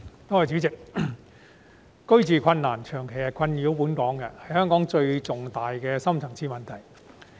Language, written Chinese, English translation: Cantonese, 代理主席，住屋問題長期困擾香港，也是香港最重大的深層次問題。, Deputy President the housing problem has long plagued Hong Kong and it is our foremost deep - seated problem